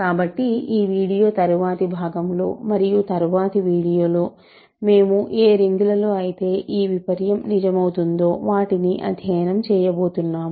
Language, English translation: Telugu, So, in the remaining video and in the next video or so, we are going to study rings where actually the converse is true